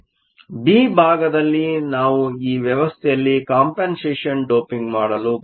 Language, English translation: Kannada, In part b, we want to do compensation doping in this system